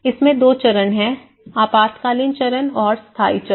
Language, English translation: Hindi, So, there is two phases of the emergency phase and as well as the permanent phase